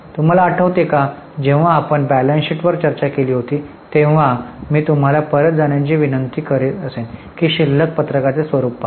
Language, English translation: Marathi, When we discussed balance sheet we had discussed this, I would request you to go back and have a look at balance sheet format